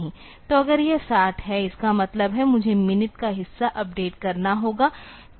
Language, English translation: Hindi, So, if it is 60; that means, I have to update the minute part